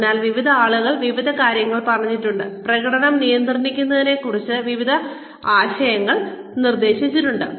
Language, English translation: Malayalam, So, various people have said various things, have proposed various ideas regarding, managing performance